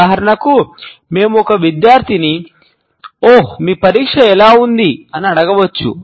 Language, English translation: Telugu, For example, we can ask a student ‘oh how is your examination’